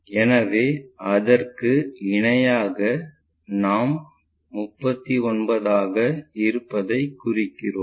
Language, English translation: Tamil, So, parallel to that if we are marking this will be 39